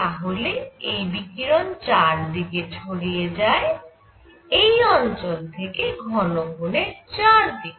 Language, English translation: Bengali, So, this radiation is going all around from this area into the solid angle all around